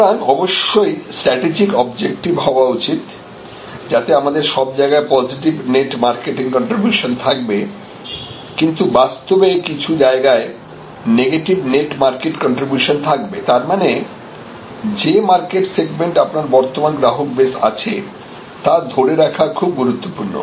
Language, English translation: Bengali, So, strategic objective is of course, all across we have positive net market contribution, but in reality that is the there will be some negative net marketing contribution and therefore, those market segments, where you have existing customer base retention of that existing customer base crucial